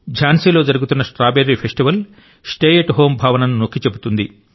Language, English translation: Telugu, Jhansi's Strawberry festival emphasizes the 'Stay at Home' concept